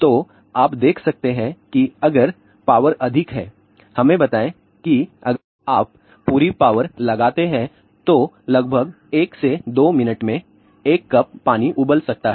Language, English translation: Hindi, So, you can see that if the power is high, let us say if you put on a full power a cup of water may boil in about 1 to 2 minutes